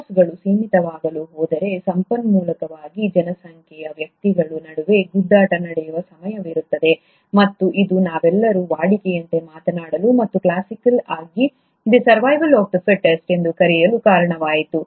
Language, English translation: Kannada, If the sources are going to become limited, there is going to be a time, where there will be a competition among the individuals of a population for the resource, and this is what led to what we all routinely talk about and classically called as ‘The survival of the fittest’